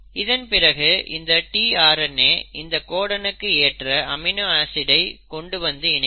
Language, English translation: Tamil, And each tRNA will then bring in the respective amino acid